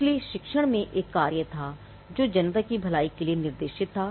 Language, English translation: Hindi, So, teaching had a function that was directed towards the good of the public